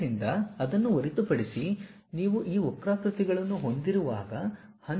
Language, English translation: Kannada, So, other than that, when you have this curves